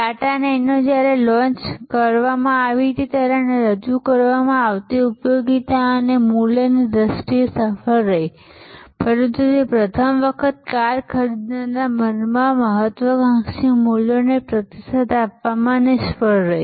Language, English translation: Gujarati, The Tata Nano was successful in terms of the utility and value it offered when it was launched, but it failed to respond to the aspirational values in the minds of the first time car buyer